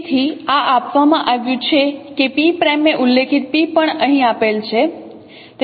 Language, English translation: Gujarati, So this is given that P prime as I mentioned P is also given here